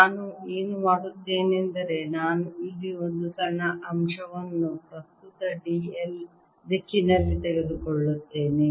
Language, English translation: Kannada, what i'll do is i'll take a small element here in the direction of the current d l